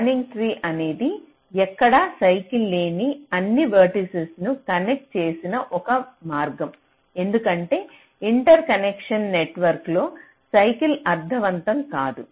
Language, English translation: Telugu, this spanning tree is a way of connecting all the vertices such that there is no cycle anywhere, because cycles for a interconnection network does not make any sense now with respect to this spanning tree